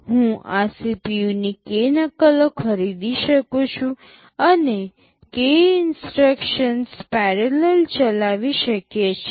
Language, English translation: Gujarati, I can buy k copies of this CPU, and run k instructions in parallel